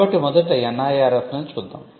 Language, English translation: Telugu, So, let us look at the NIRF part first